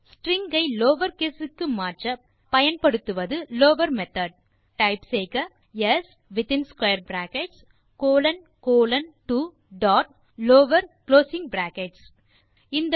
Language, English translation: Tamil, In order to change the string to lower case, we use the method lower() So type s in square brackets colon colon 2 dot lower closing brackets